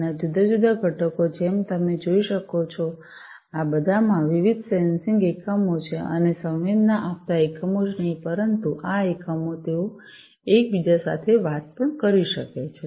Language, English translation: Gujarati, And these different components as you can see these are all these have different sensing units in them and not only sensing units, but these units they can also talk to each other